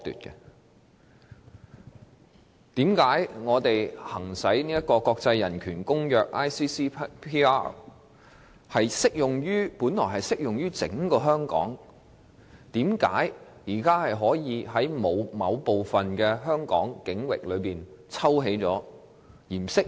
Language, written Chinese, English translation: Cantonese, 《公民權利和政治權利國際公約》本來適用於整個香港，為何現時可以在香港某部分境域中抽起，不再適用？, The International Covenant on Civil and Political Rights ICCPR should be applied to the entire Hong Kong why is it now not applicable to a certain area in Hong Kong?